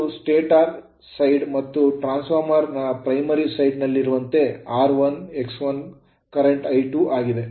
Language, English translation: Kannada, This is stator side and as in your transformer primary side r 1, X 1 current is I 1